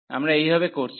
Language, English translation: Bengali, So, this is how we are doing